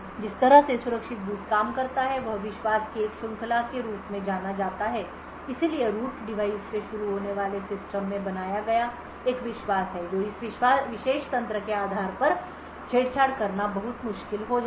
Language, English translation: Hindi, The way secure boot works is by something known as a chain of trust so starting from the root device there is a trust created in the system based on this particular mechanism it becomes very difficult to tamper with